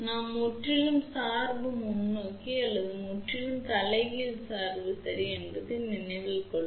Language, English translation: Tamil, Please remember that we have to completely forward bias or completely reverse bias ok